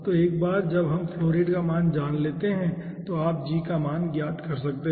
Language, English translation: Hindi, so once we know the value of the flow rate you can find out the value of g